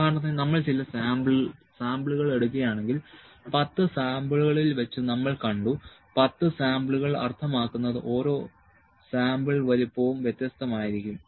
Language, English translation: Malayalam, For instance, if we are taking certain samples and out of 10 samples we have seen that 10 samples means, each sample size could be different